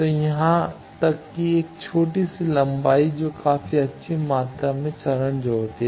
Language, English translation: Hindi, So, even a small length that adds to quite good amount of phase